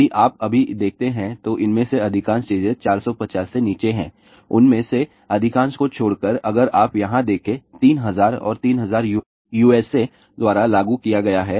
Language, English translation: Hindi, If you see now, most of these things are below 450 majority of them , except if you look at here 3000 and 3000 is implemented by USA